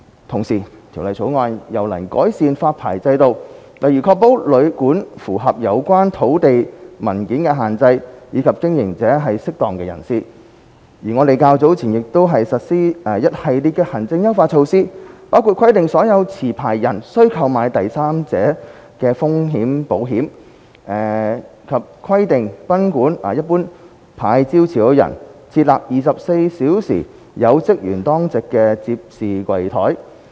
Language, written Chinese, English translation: Cantonese, 同時，《條例草案》又能改善發牌制度，例如確保旅館符合有關土地文件的限制，以及經營者是"適當"人士，而我們較早前亦已實施一系列行政優化措施，包括規定所有持牌人須購買第三者風險保險，以及規定賓館牌照持有人設立24小時有職員當值的接待櫃檯。, Besides the Bill can also improve the licensing regime . For instance it ensures that the hotels and guesthouses meet the restrictive provisions in land documents and that the operators are fit and proper persons . Not long ago we put in place a series of administrative enhancement measures including the requirement for all licensees to procure third party risks insurance and the requirement for licensees of Guesthouse General to provide a 24 - hour manned counter